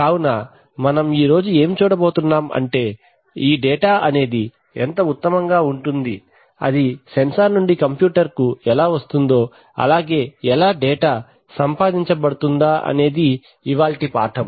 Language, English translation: Telugu, So what we are going to study today is how the data which is fine, which is coming from the sensors gets into the computers or how digital data is going to be acquired, right, so that is the subject of the lesson today